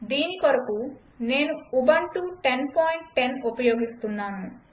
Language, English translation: Telugu, For this purpose, I am using Ubuntu 10.10